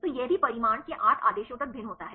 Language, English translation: Hindi, So, it also varies up to 8 orders of magnitude